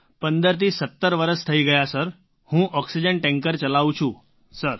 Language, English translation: Gujarati, I've been driving an oxygen tanker for 15 17 years Sir